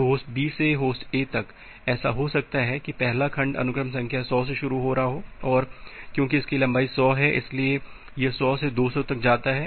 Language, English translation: Hindi, So, here from host B to host A, it may happen that the first segment is starting from sequence number 100, and has a length 100 so, it goes from 100 to 200